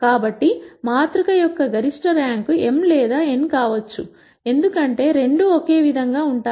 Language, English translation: Telugu, So, the rank of the maximum rank of the matrix can be m or n, because both are the same